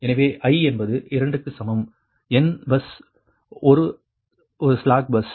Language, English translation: Tamil, so will see, i, i is equal to two to n, right, bus one is a slack bus